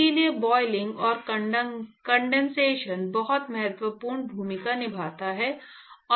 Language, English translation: Hindi, So, therefore, boiling and condensation plays a very important role